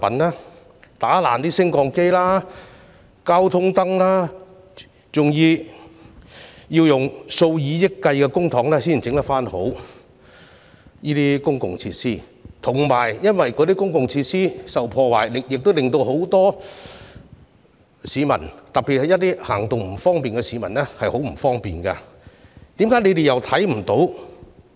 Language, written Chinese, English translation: Cantonese, 他們破壞了升降機和交通燈，這些公共設施需要花上數以億元的公帑才可修復，而且公共設施受到破壞，亦使很多市民，特別是一些行動不便的市民感到不便，為何他們又看不到呢？, The repair works of elevators and traffic lights destroyed by rioters cost several hundred million dollars . Apart from the money the destruction of such facilities has also caused inconvenience to the public especially people with mobility impairments . Are they really blind to the vandalism?